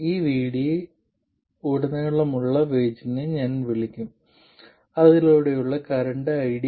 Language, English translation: Malayalam, I will call the voltage across this VD and the current through it as ID